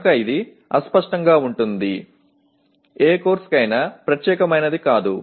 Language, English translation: Telugu, So it is vague, not specific to any course